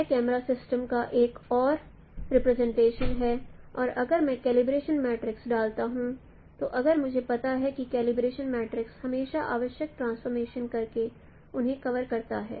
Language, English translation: Hindi, This is another representation of camera system and for a in the calibration if I know the call if I put the calibration matrix matrices I since I if I know the calibration matrix is I can always convert them by doing the necessary transformation